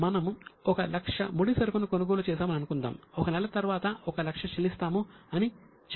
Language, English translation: Telugu, So, suppose we have purchased raw material of 1 lakh, we will pay after one month rupees 1 lakh